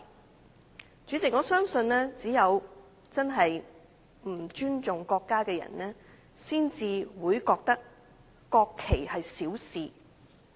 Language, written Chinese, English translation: Cantonese, 代理主席，我相信只有不尊重國家的人才會認為國旗是小事。, Deputy President I think only people who disrespect the country would consider the national flag a trivial issue